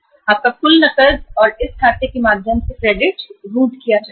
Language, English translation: Hindi, Your total cash and the credit will be routed through this account